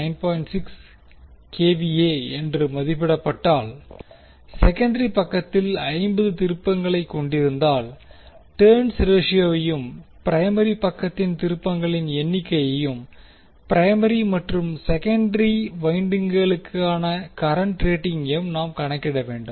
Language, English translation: Tamil, 6 kVA has 50 turns on the secondary side, we need to calculate the turns ratio and the number of turns on the primary side and current ratings for primary and secondary windings